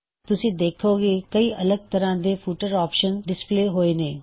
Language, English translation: Punjabi, You can see several footer options are displayed here